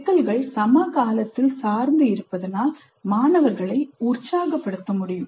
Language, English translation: Tamil, Problems must be contemporary and be able to excite the students